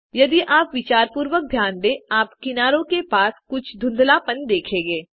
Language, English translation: Hindi, If you notice carefully, you will be able to observe some blurring near the edges